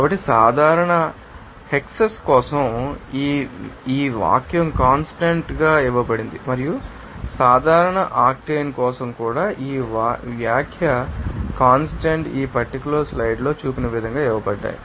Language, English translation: Telugu, So, it is given here for the component for normal hexane this sentence constant is given here and for normal octane also this sentence constants are given in this table as shown here in the slide